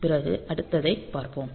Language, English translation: Tamil, So, next see another one